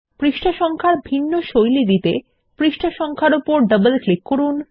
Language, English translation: Bengali, In order to give different styles to the page number, double click on the page number